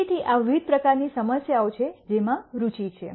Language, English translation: Gujarati, So, these are the various types of problems that are of interest